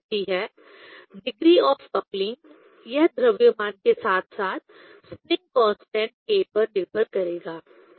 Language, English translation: Hindi, Coupling comes, the degree of coupling; it will depend on mass as well as spring constant k